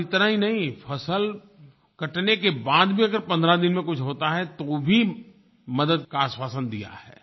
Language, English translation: Hindi, And not only this, even if something happens within 15 days of crop harvesting, even then assurances for support is provided